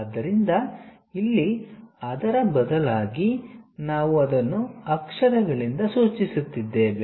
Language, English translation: Kannada, So, here instead of that, we are denoting it by letters